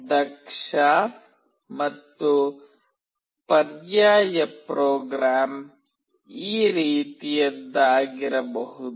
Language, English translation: Kannada, An efficient and alternate program could be something like this